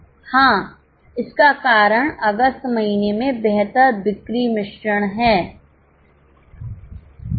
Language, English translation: Hindi, Yes, the reasoning is because of better sales mix in the month of August